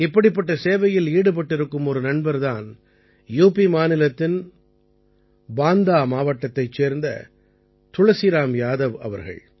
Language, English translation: Tamil, One such friend is Tulsiram Yadav ji of Banda district of UP